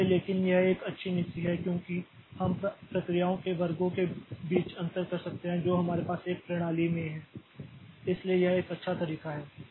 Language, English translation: Hindi, So, but this is a good policy because we can we can differentiate between the classes of processes that we have in a system so that way it's a good one